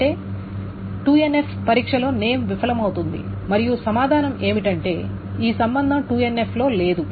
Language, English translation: Telugu, So that means name fails the 2NF test and the answer is that this is the relationship is not in 2NF